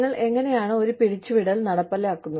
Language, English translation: Malayalam, How do you implement a layoff